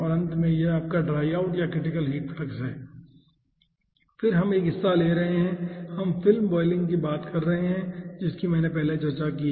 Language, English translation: Hindi, this is your ah, dry out or critical heat flux, and then we are having a part, we are having film boiling that i have discussed earlier